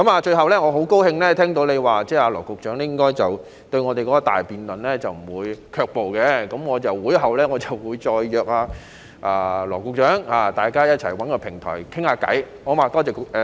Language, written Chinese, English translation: Cantonese, 最後，我很高興聽到你說羅局長對我們的大辯論應該不會卻步，我在會後再約羅局長，大家找一個平台談談，好嗎？, Finally I am very happy to hear from you that Secretary Dr LAW should not be backing away from the big debate suggested by us . I will make arrangements with Secretary Dr LAW after this meeting so that we can find a platform to talk about it alright?